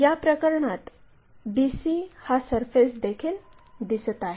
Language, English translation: Marathi, In this case c, bc surface also visible